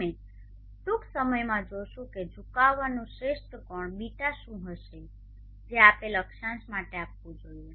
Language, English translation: Gujarati, We will see shortly what would be the best angle ß of tilt that we should provide for a given latitude